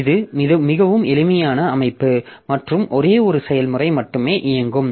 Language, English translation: Tamil, So, this is a very simple system and only one process will be running